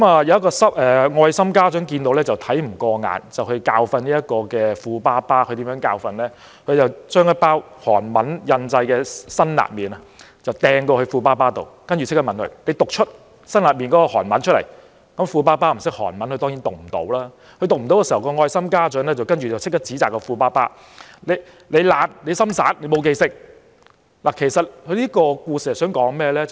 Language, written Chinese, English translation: Cantonese, 有一位愛心家長看不過眼，教訓這名富爸爸，他將一包包裝上印有韓文的辛辣麵拋到富爸爸手中，要求他立即讀出包裝上的韓文，富爸爸不懂韓文，當然未能讀出，愛心家長隨即指責富爸爸懶惰、不專心、沒有用心記住，其實這故事想說甚麼？, The friend threw a packet of hot noodles with Korean words on the package to the rich dad and asked him to immediately read out the Korean words . As the rich dad did not know the language he certainly could not do so . The compassionate friend immediately scolded the rich dad for being lazy and failing to concentrate and make an effort to remember the words